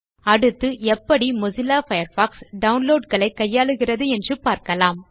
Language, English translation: Tamil, Next, let us now learn how Mozilla Firefox handles downloads